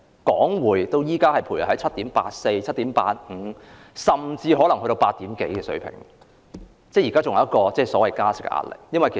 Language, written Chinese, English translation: Cantonese, 港匯現時徘徊在 7.84、7.85 甚至是8以上的水平，仍然承受加息的壓力。, The Hong Kong dollar exchange rate is now hovering at a level of 7.84 7.85 or even above 8 and there is still the pressure to increase interest rates